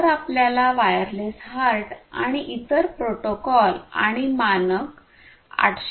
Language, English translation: Marathi, If you want to know further about wireless HART and the other protocols and the standard 802